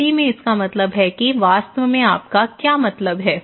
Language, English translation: Hindi, In Italy, it means that what exactly, do you mean